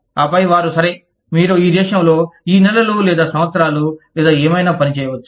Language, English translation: Telugu, And then, they say, okay, you can work in this country, for these many months, or years, or whatever